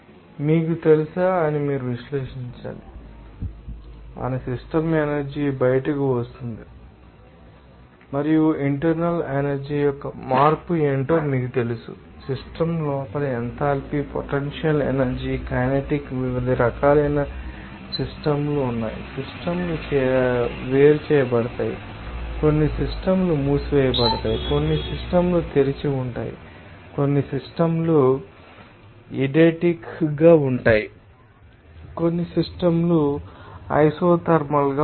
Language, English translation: Telugu, You have to analyze that you know, our system energy which is coming out which is coming in and also what are the change of internal energy you know enthalpy potential energy kinetic energy inside the system, there are different type of system you will see that some systems will be isolated, some systems will be closed some systems will be open some systems will be eidetic some systems will be isothermal